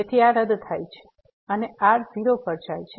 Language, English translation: Gujarati, So, these cancel out and goes to 0